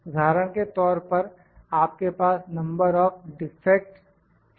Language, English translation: Hindi, For example, you have can be the number of defects